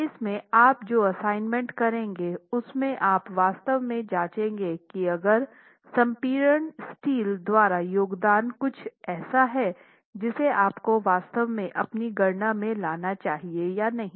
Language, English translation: Hindi, And in the assignment that you will do with respect to the PM interactions, you'll actually check if the contribution by the compression steel is something you must actually bring into your calculations or is it something negligible